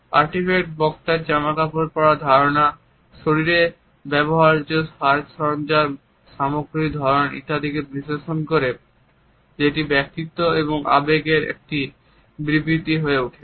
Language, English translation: Bengali, Artifacts analyzed communicator’s sense of dressing style of putting makeup accessories on body etcetera which become a statement of personality and emotions